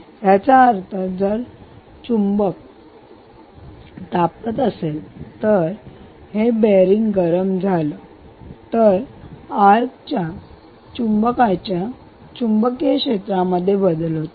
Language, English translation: Marathi, ok, good, which means if this magnet sorry, if this magnet heats up, if this bearing heats up, the magnetic field of this arc magnet would change